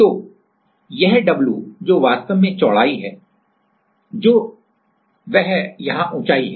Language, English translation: Hindi, So, this w or which is actually the width that is the height here